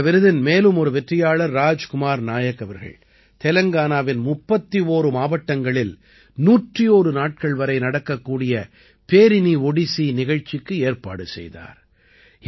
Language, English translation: Tamil, Another winner of the award, Raj Kumar Nayak ji, organized the Perini Odissi, which lasted for 101 days in 31 districts of Telangana